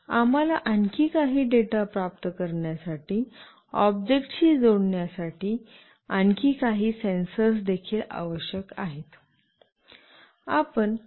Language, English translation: Marathi, We also need some more some more other sensors to be attached to the object to receive some more data